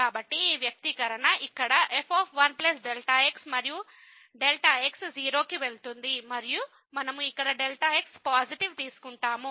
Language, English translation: Telugu, So, this just this expression here and goes to 0 and we take here the positive